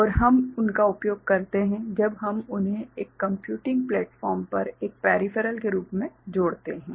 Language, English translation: Hindi, And we make use of them in the when we connect them as a peripheral to a computing platform